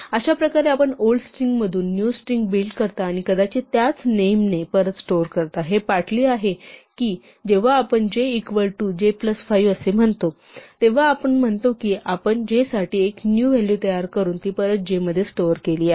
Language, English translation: Marathi, There we build a new string from the old string and perhaps store it back in the same name, it is partly like when we say j is equal to j plus 5, we are actually saying that we have created a new value for j and stored it back in j